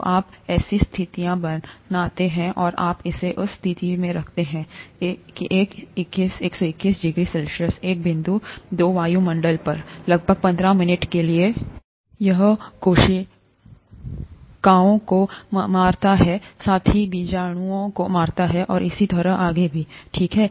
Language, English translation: Hindi, So you create such conditions and you keep it at that condition, one twenty one degrees C, at say one point two atmospheres, for about 15 minutes; it kills the cells, as well as kills the spores, and so on so forth, okay